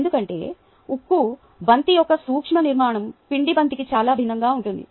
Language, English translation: Telugu, because in microscopic structure of the steel ball is very different from that of the dough ball